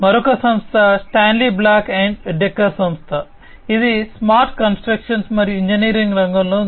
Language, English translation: Telugu, Another company it the Stanley Black and Decker company, it is in the smart construction and engineering sector